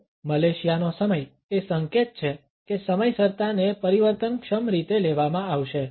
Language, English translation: Gujarati, Now Malaysian time is an indication that the punctuality would be practiced in a fluid fashion